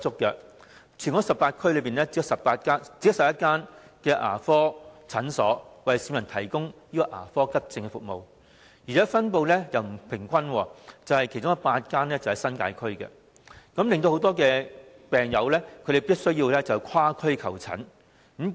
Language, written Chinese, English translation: Cantonese, 在全港18區，只有11間牙科診所為市民提供牙科急症服務，而且分布不平均，其中8間位於新界區，令很多病人必須跨區求診。, In all the 18 districts in Hong Kong there are only 11 dental clinics which provide emergency dental services for members of the public . Moreover they are unevenly distributed . Eight of them are located in the New Territories